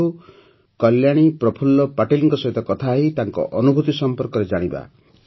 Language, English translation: Odia, Come let's talk to Kalyani Prafulla Patil ji and know about her experience